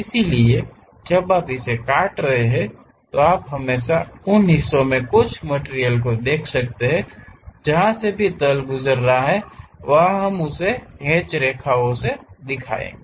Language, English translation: Hindi, So, when you are slicing it, you always be having some material within those portions; wherever the plane is passing through that we will show it by hatched lines